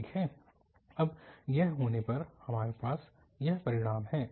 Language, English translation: Hindi, So well, so having this now, we have this result